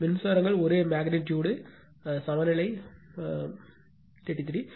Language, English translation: Tamil, Currents are same magnitude balance 33